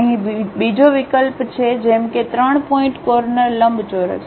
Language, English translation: Gujarati, Here there is another option like 3 Point Corner Rectangle